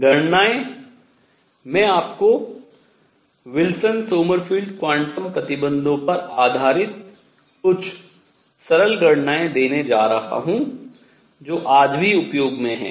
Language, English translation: Hindi, Calculations, I am going to give you some simple calculations based on Wilson Sommerfeld quantum conditions which are in use today also